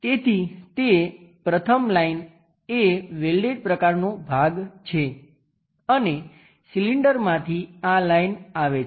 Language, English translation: Gujarati, So, that one the first line is the welded kind of portion is that and from cylinder this line comes